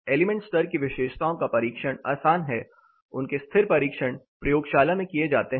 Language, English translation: Hindi, Element level properties are more easy to test their static tests done in laboratories